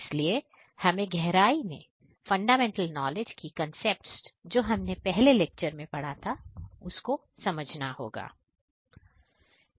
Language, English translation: Hindi, So, we need to understand in depth whatever concepts the fundamental knowledge that we have acquired in the previous lectures